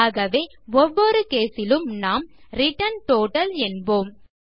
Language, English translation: Tamil, So, in each case what we should say is return total